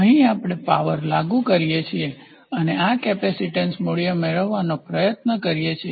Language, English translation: Gujarati, So, here we apply a power and get this capacitance value